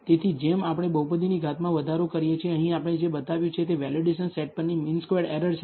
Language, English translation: Gujarati, So, as we increase the degree of the polynomial, here what we have shown is the mean squared error on the validation set